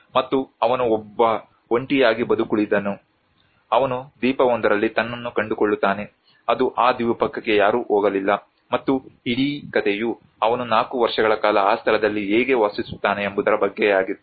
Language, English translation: Kannada, And he is a lonely survivor he finds himself in an island which an untouched island no one ever been to that island and the whole story is all about how he lives in that place for 4 years